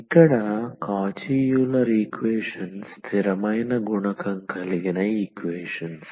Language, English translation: Telugu, So, here the Cauchy Euler equations are the equations with an on a constant coefficient